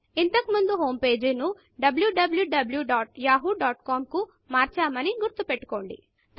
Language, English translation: Telugu, Remember we changed the home page to www.yahoo.com earlier on